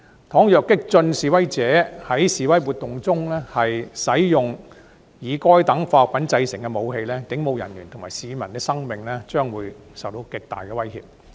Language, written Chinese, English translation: Cantonese, 倘若激進示威者在示威活動中使用以該等化學品製造的武器，警務人員及市民的生命安全會受極大威脅。, If radical demonstrators use weapons made from such chemicals at demonstrations the lives and safety of police officers and members of the public will be seriously threatened